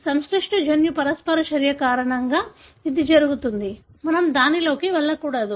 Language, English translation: Telugu, It happens because of a complex genetic interaction; let’s not get into that